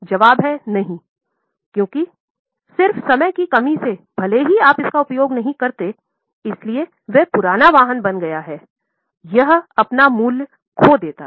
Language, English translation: Hindi, Because just by lapse of time even if we don't use it because it has become older vehicle it loses its value